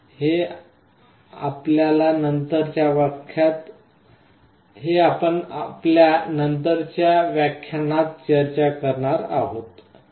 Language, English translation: Marathi, These we shall be discussing in our subsequent lectures